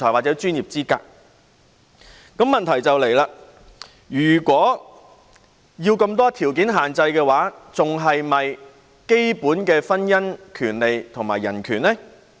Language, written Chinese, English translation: Cantonese, 那麼問題便出現了：如此設有眾多條件限制的話，這樣還是否符合基本的婚姻權利及人權呢？, But then a question arises With the imposition of so many conditions is it still in compliance with the fundamental right to marriage and human rights?